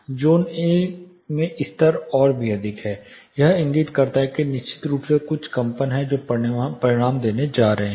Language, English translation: Hindi, At zone A the levels are even high this would indicate that there are definitely certain vibrations which are going to result